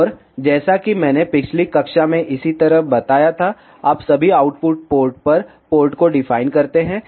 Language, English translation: Hindi, And as I told in the last class in the same way, you define the port at all the output ports